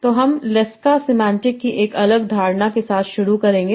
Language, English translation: Hindi, So we will start with a separate notion of semantics, that is lexical semantics